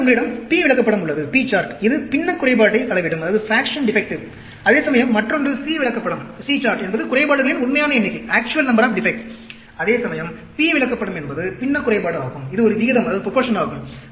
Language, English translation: Tamil, Then, you have the P chart, measures fraction defective, whereas, the other one is, C chart is actual number of defects; whereas, P chart is fraction defective, it is a proportion